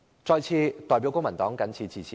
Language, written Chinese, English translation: Cantonese, 我謹代表公民黨陳辭。, This is my speech on behalf of the Civic Party